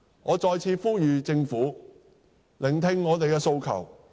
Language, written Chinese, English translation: Cantonese, 我再次呼籲政府聆聽我們的訴求。, I once again call on the Government to heed our demand